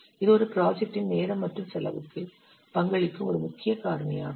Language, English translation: Tamil, This is an important factor contributing to a project's duration and cost